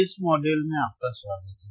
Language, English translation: Hindi, Welcome to this particular modulemodule